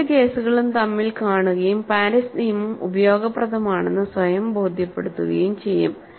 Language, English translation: Malayalam, We would see both the cases and convince ourself, that Paris law is useful